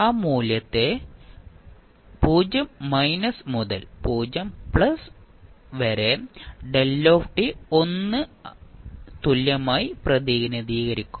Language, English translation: Malayalam, You will represent that value from 0 minus to 0 pus delta t dt equal to 1